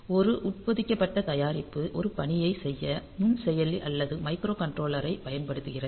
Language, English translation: Tamil, So, an embedded product uses microprocessor or microcontroller to do 1 task on